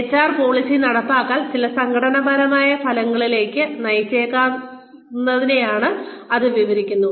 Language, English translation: Malayalam, Which described, how HR policy implementation, could lead to certain organizational outcomes